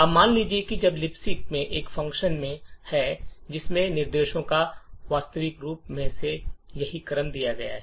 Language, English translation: Hindi, However, most likely there would not be a function in libc which has exactly this sequence of instructions